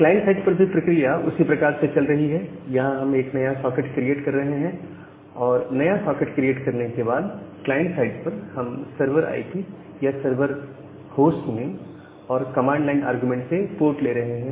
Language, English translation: Hindi, Ok, at the client side, things are pretty similar on we are declaring the socket we are creating a new socket and after creating the new socket, we are getting the here in the client side, we are getting the server IP or the server host name and the port from the command line argument